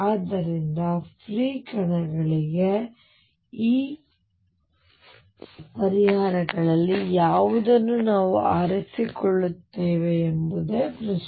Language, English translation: Kannada, So, for free particles which one of these solutions do we pick that is the question